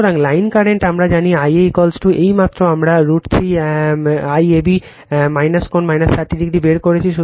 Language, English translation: Bengali, So, line current we know I a is equal to just now we have derived root 3 I AB minus angle minus 30 degree